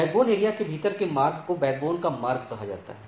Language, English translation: Hindi, Routers within the backbone area are called backbone routers